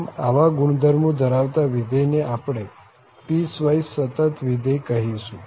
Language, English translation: Gujarati, So, having these properties, we call such a function a piecewise continuous function